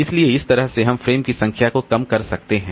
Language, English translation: Hindi, So that way we can reduce the number of frames